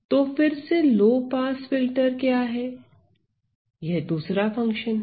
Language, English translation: Hindi, So, again what is low pass filter; that is another function right